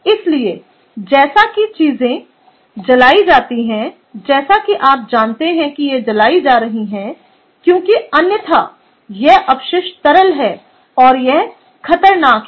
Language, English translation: Hindi, so as, as things are burnt, you know this is burnt because ah, otherwise the waste is ah, the liquid waste liquid is hazardous